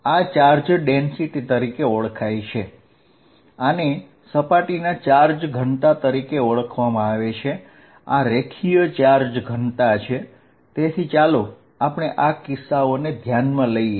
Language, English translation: Gujarati, This is known as the charge density, this is known as surface charge density, this is linear charge density, so let us consider these cases